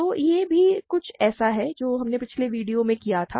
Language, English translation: Hindi, So, this is also something we did in the previous video